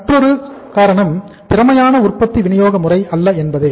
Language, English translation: Tamil, Another reason could be no efficient production distributive system